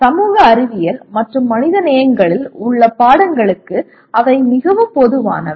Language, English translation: Tamil, They are quite common to subjects in social sciences and humanities